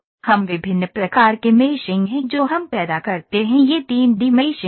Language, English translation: Hindi, So, what are different kinds of meshing that we produce these are this is 3D meshing